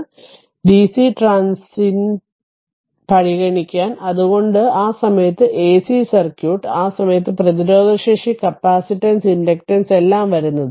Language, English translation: Malayalam, So, because we have to we have to consider dc transient, so that is that is why that at the same time while we consider ac circuit at that time resistance capacitance all this you what you call inductance all will come